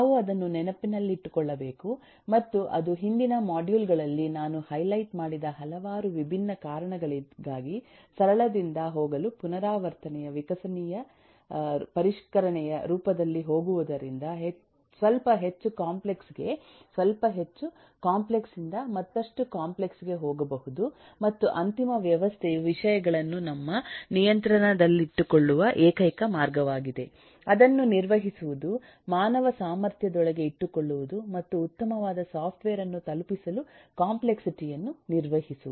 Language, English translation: Kannada, we have to keep that in mind and that is for the several different reasons that I have eh highlighted in the earlier modules: going in an iterative, evolutionary refinement form to go from simple to little bit more complex, to little more complex, to further complex and so on, and the final system is the only way to keep things under our control, to keep it within the human capacity of handling and manage the complexity, to deliver a good working software